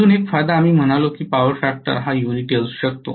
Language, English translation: Marathi, One more advantage we said was because the power factor could be unity right